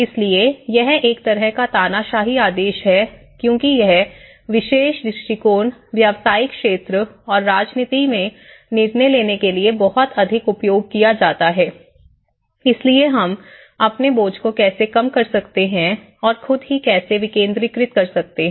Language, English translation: Hindi, So, it is like a kind of dictatorial order or because this particular approaches are very much used in the business sector and also the decision making sector in the politics you know, so this is how we can actually reduce our burden taking everything on our own so how we can actually decentralized